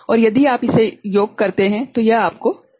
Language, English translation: Hindi, And if you sum it up it will you will get 7